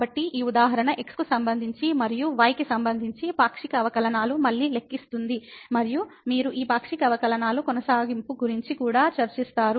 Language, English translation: Telugu, So, this example again to compute the partial derivatives with respect to and with respect to and also you will discuss the continuity of these partial derivatives